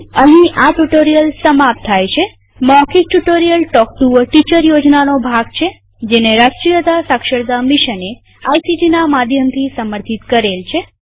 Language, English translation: Gujarati, This brings us to the end of this spoken tutorial.Spoken Tutorials are a part of the Talk to a Teacher project, supported by the National Mission on Education through ICT